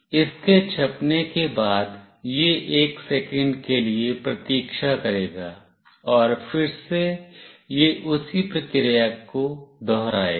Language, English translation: Hindi, After it gets printed it will wait for 1 second, and again it will do the same process